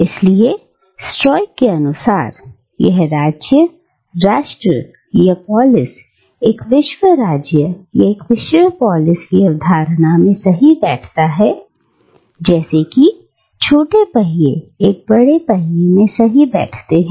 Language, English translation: Hindi, So, the state, or the nation, or polis, according to this Stoic worldview, fits into the concept of a world state, or a world polis, as smaller wheels fit into a larger wheel